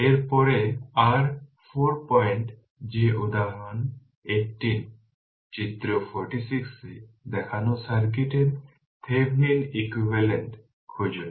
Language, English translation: Bengali, Next is your 4 point that example 18, the find the Thevenin equivalent of the circuit shown in figure 46